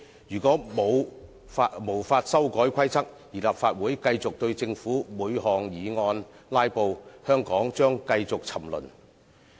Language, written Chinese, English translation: Cantonese, 如果無法修改《議事規則》，而立法會繼續對政府的每項議案"拉布"，香港將繼續沉淪。, If we fail to amend RoP the Legislative Council will continue to filibuster on each government motion consequently Hong Kong will continue to sink